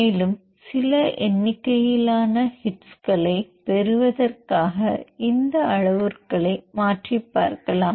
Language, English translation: Tamil, And you play around this parameters also in order to get some more number of hits, and do blast